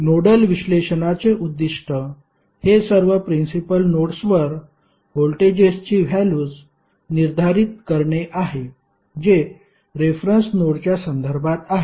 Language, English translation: Marathi, The nodal analysis objective is to determine the values of voltages at all the principal nodes that is with reference to reference with respect to reference node